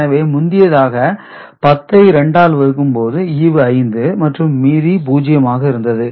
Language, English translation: Tamil, So, earlier when 10 was divided by 2, 5 remainder was 0 this time when it is divided, remainder is 1